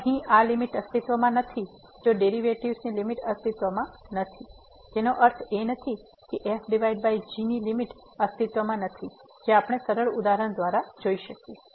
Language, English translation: Gujarati, So, if this limit here does not exist, if the limit of the derivatives does not exist; it does not mean that the limit of divided by does not exist which we can see by the simple example